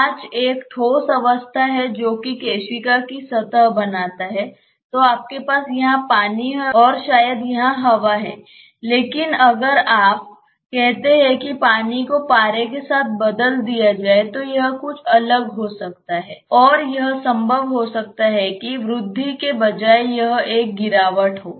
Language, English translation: Hindi, I mean glass is a solid phase which forms the surface of the capillary then you have water here and maybe air here, but if you replace water with say mercury it may be something different and it may be possible that instead of a rise it has a fall